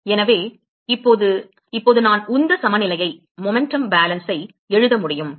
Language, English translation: Tamil, So, now, so now I can write momentum balance